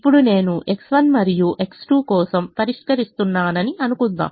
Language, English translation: Telugu, let's assume that i am solving for x one and x two